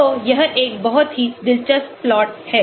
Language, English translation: Hindi, So, this is a very interesting plot